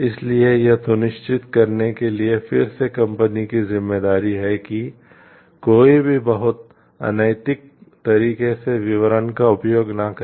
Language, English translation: Hindi, So, it is again the responsibility of the company to ensure like that nobody uses details in an very unethical way